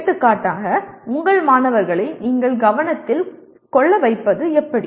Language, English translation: Tamil, For example how do you arouse or make people make your students pay attention to you